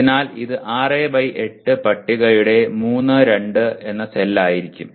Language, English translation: Malayalam, So it will be 3, 2 cell of the 6 by 8 table